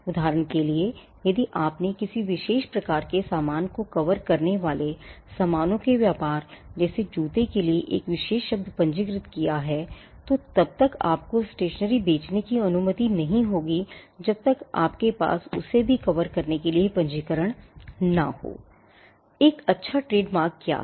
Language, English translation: Hindi, For example, if you have registered a particular word for say trade in goods covering a particular kind of goods; say, shoes you may not be allowed to use that mark for selling stationery, unless you have a registration covering that class as well